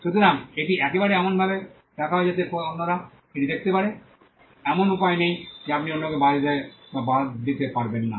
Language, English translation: Bengali, So, there is once it is put in a way in which others can see it there is no way you can stop others from or exclude others